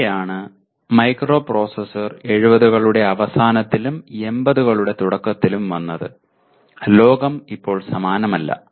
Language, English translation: Malayalam, That is where the microprocessor have come in late ‘70s and early ‘80s and the world is not the same anymore